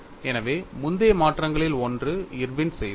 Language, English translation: Tamil, So, one of the earliest modification was done by Irwin